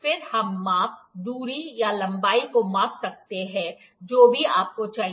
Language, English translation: Hindi, Then, we can measure the measure the distance or the length, whatever you required